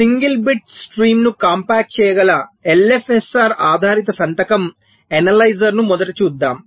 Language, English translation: Telugu, so let us first look at the l f s r based signature analyzer, which can compact a single bit stream